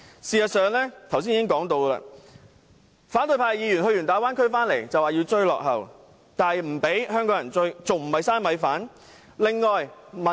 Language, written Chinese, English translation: Cantonese, 正如我剛才所說，反對派議員到過大灣區後便說要追落後，但又不讓香港人追，這樣還不是"嘥米飯"？, As I mentioned just now after paying a visit to the Bay Area opposition Members are now saying that Hong Kong needs to play catch - up but they do not allow Hong Kong people to do so . Is this not a waste of resources?